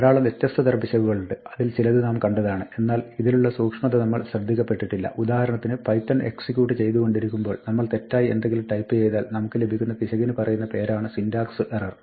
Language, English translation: Malayalam, Now, there are many different types of errors and some of these we have seen, but we may not have noticed the subtelty of these for example, when we run python and we type something which is wrong, then we get something called a syntax error and the message that python gives us is syntax error invalid syntax